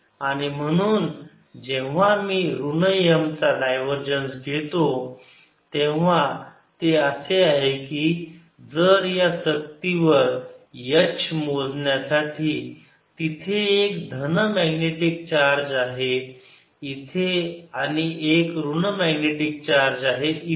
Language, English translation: Marathi, therefore, when i take minus of divergence of m, it is as if on this disk for calculation of h there is a positive magnetic charge here, negative magnetic charge here and kind of field is give rise to, would be like the electric field